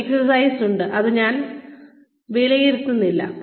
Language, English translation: Malayalam, There is an exercise, that I will not be evaluating